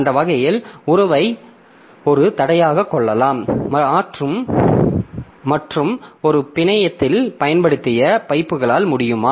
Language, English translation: Tamil, So, that way we can have the relationship as a constraint and can the pipes be used over a network